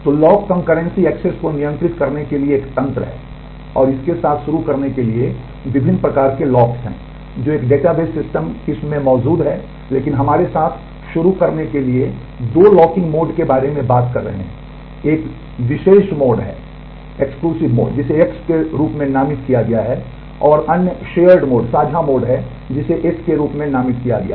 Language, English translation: Hindi, So, lock is a mechanism to control concurrent access and to start with there are a variety of locks that exist in a database system variety of types, but to start with we are talking about two locking modes one is exclusive mode, which is designated as X and other is shared mode and which is designated as S